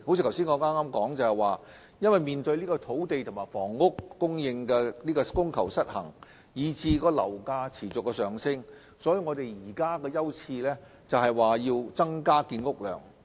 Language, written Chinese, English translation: Cantonese, 正如我剛才所說，面對土地及房屋供求失衡以至樓價持續上升，政府當前的優次是增加建屋量。, As I said earlier in view of the imbalance in supply and demand for land and housing which has resulted in the continuous rise in property prices the current priority of the Government is to increase housing production